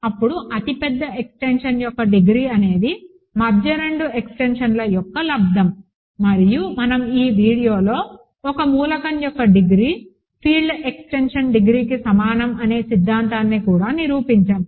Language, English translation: Telugu, Then, the degree of the largest extension is the product of the middle two extensions, and we also proved in this video the theorem about the degree of an element being equal to the degree of the field extension itself, ok